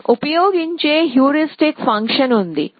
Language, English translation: Telugu, So, we have some heuristic function that we use